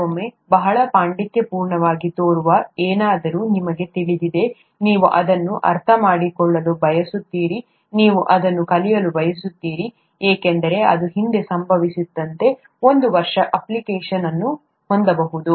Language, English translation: Kannada, Sometimes, something that seems very, scholarly, you know, you you want to understand it, you want to learn it just because it is there could have an application within a year as has happened in the past